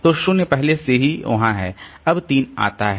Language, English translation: Hindi, So this 0 is already there